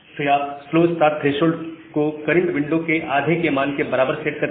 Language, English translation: Hindi, Then you set the slow start threshold as half of the current congestion window